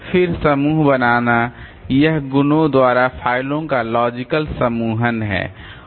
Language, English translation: Hindi, Then grouping, so it is a logical grouping of files by properties